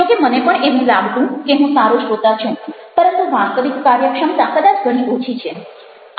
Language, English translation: Gujarati, even i feel, or i used to feel, that i am a good listener, but the actually efficiency is probably much less than that